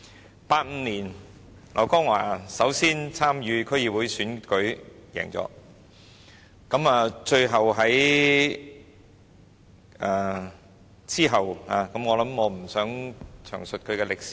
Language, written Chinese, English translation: Cantonese, 劉江華首先在1985年參與區議會選舉獲勝，最後在......我不想詳述他的履歷。, LAU Kong - wah first contested and won in the District Board election in 1985 and finally in I do not wish to give a detailed account of his resume